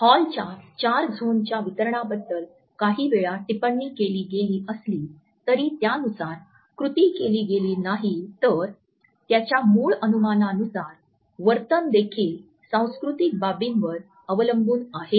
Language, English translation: Marathi, Whereas Hall’s distribution of four zones sometimes has been commented on if not actually criticized, his basic supposition that proxemic behavior is also dependent on the cultural aspects has never been questioned so far